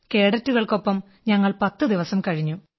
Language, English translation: Malayalam, We stayed with those cadets for 10 days